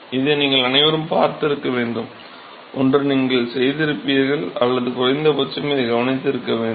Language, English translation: Tamil, All of you must have seen this either you have done it in yourself or at least you have observed this